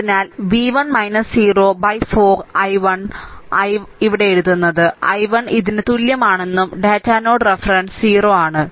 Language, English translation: Malayalam, And then your i 1 so, i 1 I am writing here that i 1 is equal to this is datum node reference 0